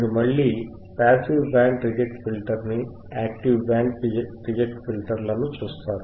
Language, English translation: Telugu, You will again see a Passive Band Reject Filter and we will see an Active Band Reject Filter all right